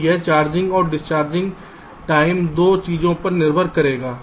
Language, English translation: Hindi, ok, so this charging and discharging time will depend on two things